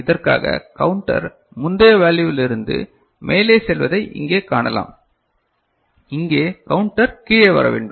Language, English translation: Tamil, And for this you can see here the counter is going up from the previous value and here the counter has to come down right